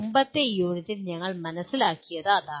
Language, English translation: Malayalam, That is what we understood in the previous unit